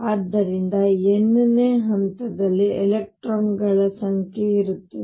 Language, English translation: Kannada, So, the number of electrons in the nth level will be